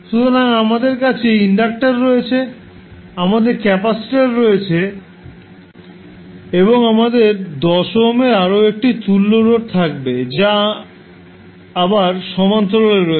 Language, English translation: Bengali, So, now we have a case of parallel RLC circuits, so we have inductor, we have capacitor and we will have another equivalent resistance of 10 ohm which is again in parallel